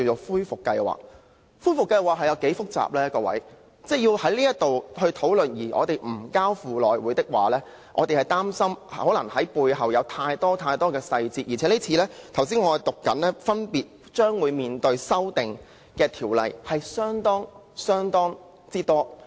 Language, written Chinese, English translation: Cantonese, 恢復計劃內容複雜，若在此討論而不交付內務委員會，我們擔心內裏可能會有太多細節，而剛才我讀出將會面對修訂的條例數目相當多。, The recovery plans are so complicated that if the Bill is discussed here without being referred to the House Committee we are afraid the Bill might have too many details and quite many Ordinances read out by me just now will probably need to be amended